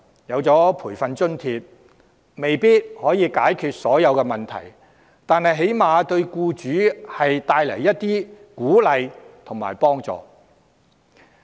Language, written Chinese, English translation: Cantonese, 雖然培訓津貼未必能解決所有問題，但起碼可為僱主帶來鼓勵和幫助。, Although training allowance may not necessarily resolve all the problems it can at least incentivize and assist employers